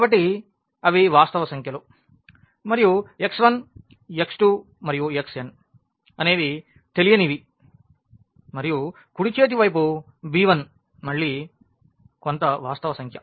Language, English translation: Telugu, So, they are the real numbers and the x 1 x 2 x 3 and x n they are the unknowns and the right hand side b 1 again some real number